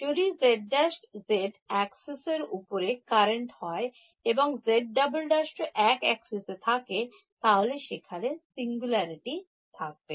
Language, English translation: Bengali, If z prime, z is also on the current on the axis and z double prime is also in the same axis, the singularity should be there